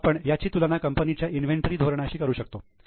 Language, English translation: Marathi, Now we can compare it with their inventory policy